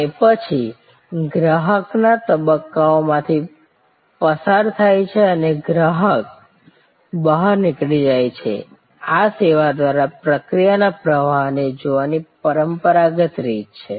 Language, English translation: Gujarati, And then, the customer goes through these stages and customer exits, this is the traditional way of looking at process flow through the service